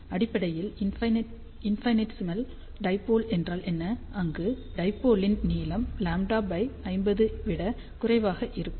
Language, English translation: Tamil, So, basically what is the definition of infinitesimal dipole, where the length of the dipole is less than lambda by 50